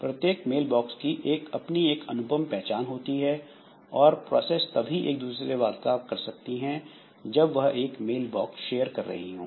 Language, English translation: Hindi, So, each mail box will have a unique ID and processes can communicate only if they share a mailbox